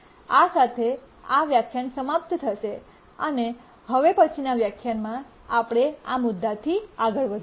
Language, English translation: Gujarati, With this we'll just conclude this lecture and we'll continue from this point in the next lecture